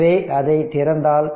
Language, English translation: Tamil, So, if we open it